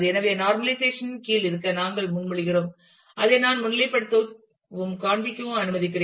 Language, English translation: Tamil, So, we propose to have under normalization we propose to have one which is let me just highlight and show you